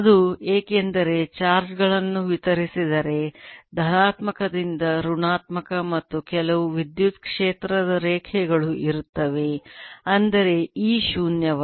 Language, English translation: Kannada, it is because if the charges distributed then there will be some electric field line from positive to negative and that means e is not zero